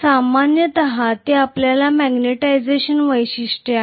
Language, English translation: Marathi, This is what is our magnetization characteristics normally